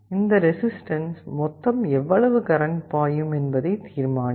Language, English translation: Tamil, Then this resistance will determine the total current that is flowing